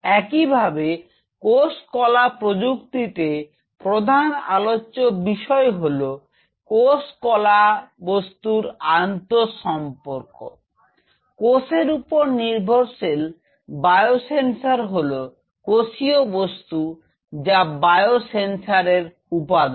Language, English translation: Bengali, Similarly cell tissue engineering the major thrust area is cell tissue material interaction, cell based biosensors is mostly cellular component as biosensor element